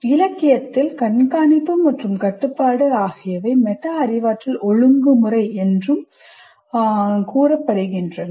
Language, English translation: Tamil, And in the literature, monitoring and control are together referred to as regulation, as metacognitive regulation